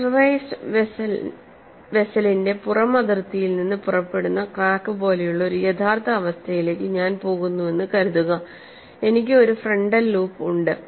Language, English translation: Malayalam, Suppose I go to a real situation like a crack emanating from outer boundary of a pressurized vessel, I have a frontal loop